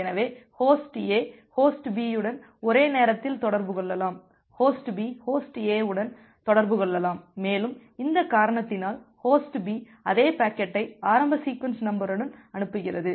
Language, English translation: Tamil, So Host A can communicate with Host B at the same time Host B can also communicate with Host A and because of this reason, Host B also sends a same packet with an initial sequence number